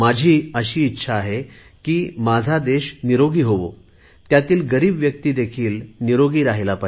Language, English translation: Marathi, "I wish that my entire country should be healthy and all the poor people also should remain free from diseases